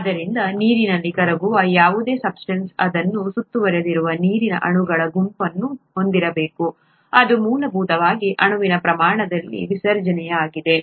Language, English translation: Kannada, So any substance that dissolves in water needs to have a set of water molecules that surround it, that’s essentially what dissolution is at a molecule scale